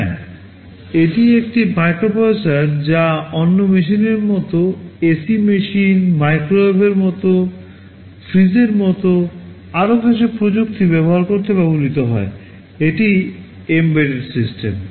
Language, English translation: Bengali, Well it is a microprocessor used to control another piece of technology like ac machine, like microwave, like refrigerator and so on, this is what an embedded system is